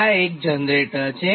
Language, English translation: Gujarati, this is, this is one generator